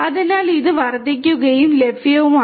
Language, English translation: Malayalam, So, it has increased and is also available